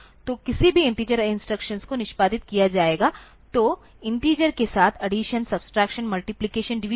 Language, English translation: Hindi, So, any integer instructions will be executed, so the addition, subtraction, multiplication, division with integers